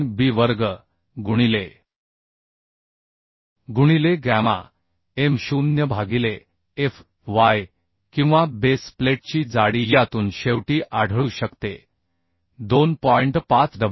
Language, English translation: Marathi, 3 b square into gamma m0 by fy or the thickness of the base plate can be found from this finally 2